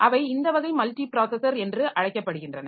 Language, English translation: Tamil, Then there are two types of multiprocessors